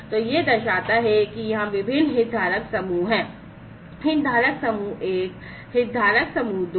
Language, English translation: Hindi, So, this shows that there are different stakeholder groups stakeholder group 1, stakeholder group 2